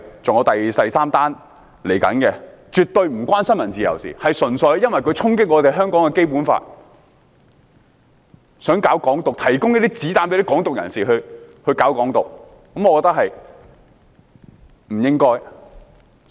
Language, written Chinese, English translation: Cantonese, 這事件絕對與新聞自由無關，純粹因為有人衝擊《基本法》，想搞"港獨"，提供子彈給"港獨"人士，我覺得不該這樣。, This incident is not related to freedom of the press at all . It is an incident in which the Basic Law is contravened as someone intended to promote Hong Kong independence and provided ammunition for Hong Kong independence activists . I think such acts should not be tolerated